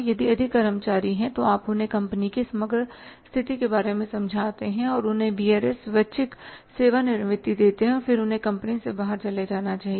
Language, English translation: Hindi, If more employees are there so you make them understand the company's overall position and give them the VRS voluntary retirement and then they should be leaving the company going out